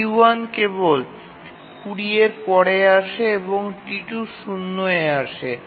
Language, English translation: Bengali, T1 arrives only after 20 and T2 arrives at 0